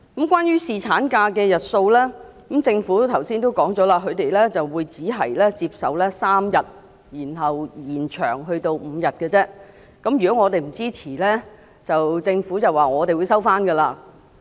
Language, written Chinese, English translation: Cantonese, 關於侍產假日數，政府剛才已表明，只接受由3天延長至5天，而如果我們不支持的話，便會收回有關修訂。, Regarding the duration of paternity leave the Government has just made it clear that it will only accept an extension from three days to five days . If we do not support such an amendment it will withdraw the Bill